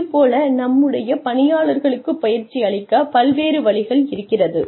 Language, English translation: Tamil, So various ways in which, we can train our employees